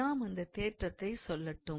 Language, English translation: Tamil, So, let me state that theorem